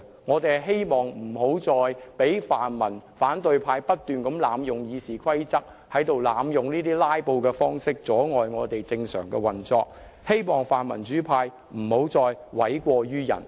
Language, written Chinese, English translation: Cantonese, 我們希望防止泛民或反對派不斷濫用《議事規則》，或以"拉布"方式阻礙議會正常運作，亦希望泛民主派不要再諉過於人。, We want to prevent the pan - democrats or opposition Members from continually abusing RoP or obstructing the normal operation of this Council by filibustering and we also hope that the pan - democrats will not put the blame on others again